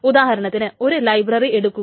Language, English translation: Malayalam, So suppose there is a big library